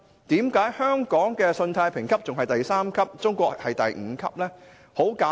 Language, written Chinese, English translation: Cantonese, 為何香港的信貸評級是第三級，而中國的信貸評級是第五級呢？, How come Hong Kong has a credit rating at level 3 but the credit rating of China is at level 5?